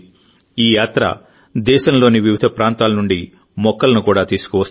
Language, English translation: Telugu, This journey will also carry with it saplings from different parts of the country